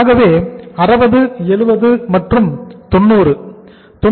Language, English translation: Tamil, So 60, 70, and 90